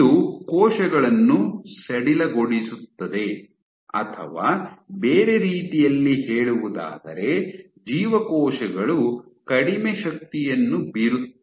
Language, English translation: Kannada, it relaxes cells, or in other words cells exert lesser forces